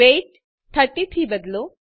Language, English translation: Gujarati, Change weight to 30